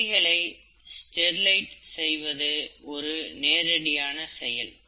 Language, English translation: Tamil, So instruments are sterilized that way